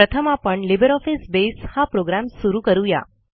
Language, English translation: Marathi, Let us first invoke the LibreOffice Base program